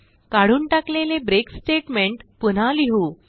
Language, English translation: Marathi, Let us now add the break statement we have removed